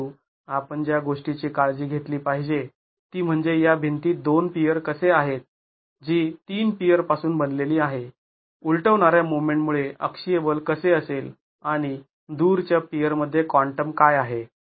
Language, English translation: Marathi, But what we should be careful about is how are these two piers in this wall which is made out of three piers, how is the axial force due to the overturning moment and what is a quantum in the extreme peers